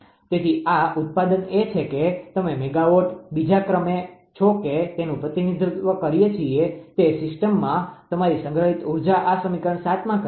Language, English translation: Gujarati, So, this product is you are megawatt second that we represent this is your stored energy in the system, this is say equation 7